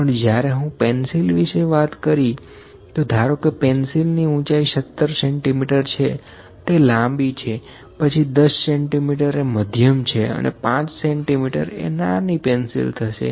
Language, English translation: Gujarati, Let me say the height of the pencil if it is 17 centimetres, it is long, then 10 centimetres is medium, 5 centimetres is small